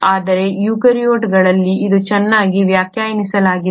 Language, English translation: Kannada, But it is very well defined in the eukaryotes